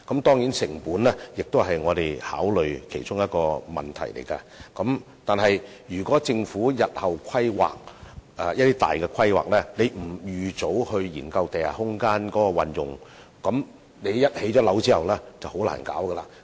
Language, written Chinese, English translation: Cantonese, 當然，成本也是我們需要考慮的一個問題，但是，政府如在日後作出大型規劃時不預早研究地下空間的運用問題，一旦樓宇建成，便再難進行發展。, Of course one of the factors we have to take into consideration is the costs involved but if a study on the use of underground space is not conducted in advance when large - scale planning is carried out by the Government in the future it will be very difficult for us to implement development projects in this respect once the construction works are completed